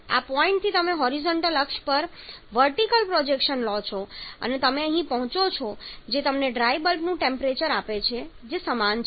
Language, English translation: Gujarati, From this point you take the Vertical projection on the horizontal axis and wet bulb temperature and dry air temperature